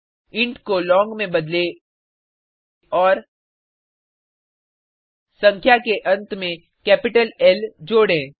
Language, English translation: Hindi, Change int to long and add a capital L at the end of the number